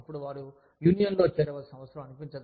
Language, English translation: Telugu, So, they do not feel, the need to join a union